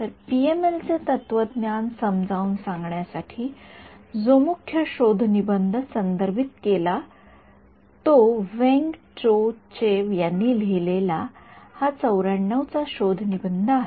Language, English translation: Marathi, So, the paper main the main paper which are referred to for explaining the philosophy of PML using stretched coordinates is this 94 paper by Weng Cho Chew